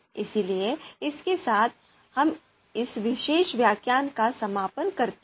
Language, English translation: Hindi, So with this, we conclude this this particular lecture